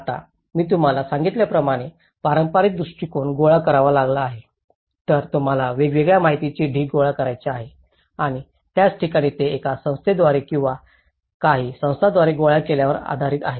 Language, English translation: Marathi, Now, as I said to you because you have to gather a traditional approach you have to gather a heap of information a variety of information and that is where they are based on by collected by one body or a few organizations